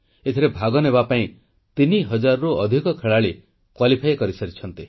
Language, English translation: Odia, And more than 3000 players have qualified for participating in these games